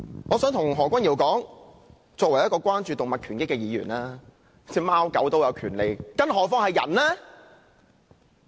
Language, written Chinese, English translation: Cantonese, 我想告訴何君堯議員，我作為一個關注動物權益的議員，認為貓狗也有權利，更何況是人呢！, I would like to tell Dr Junius HO that as a Member concerned about animal rights I think even cats and dogs have rights not to mention humans!